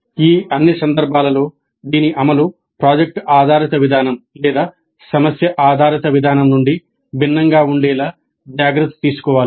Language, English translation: Telugu, In all of these above cases care must be taken to ensure that this implementation remains distinct from product based approach or problem based approach